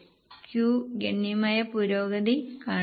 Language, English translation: Malayalam, Q has shown substantial improvement